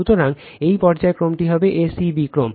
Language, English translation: Bengali, So, this phase sequence is your a c b sequence right